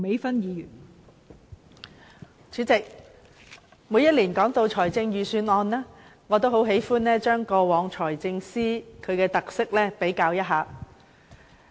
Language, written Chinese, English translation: Cantonese, 代理主席，每年就財政預算案進行辯論時，我都喜歡就過往數任財政司司長的特色作一比較。, Deputy President it is my habit during the debate on the Budget every year to make a comparison of the unique images of a few former Financial Secretaries